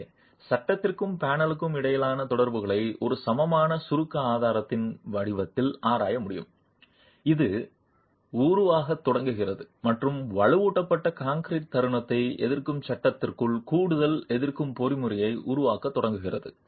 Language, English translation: Tamil, So, it is possible to examine the interaction between the frame and the panel in the form of an equivalent compression strut that starts forming and starts creating an additional resisting mechanism within the reinforced concrete moment resisting frame